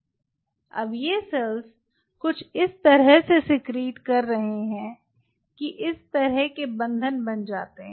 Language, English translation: Hindi, now these cells are secreting something which kind of bind, like this